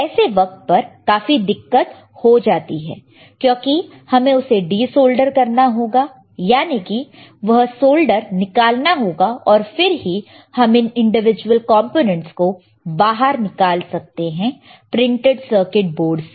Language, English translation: Hindi, Then it is very difficult because we have to de solder it we have to remove the solder, then only we can plug this out that is plug the individual components out of the printed circuit board out of this circuit right